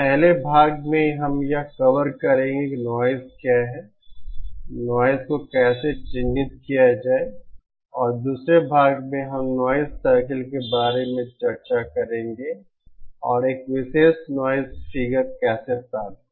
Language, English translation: Hindi, In the 1st part, we will be covering what is noise, how to characterise noise and inthe 2nd part, we will be discussing about noise circle and how to achieve a particular noise figure